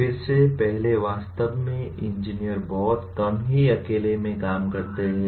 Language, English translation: Hindi, Again, coming to the first one, actually engineers very rarely work in isolation